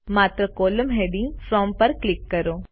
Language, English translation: Gujarati, Simply click on the column heading From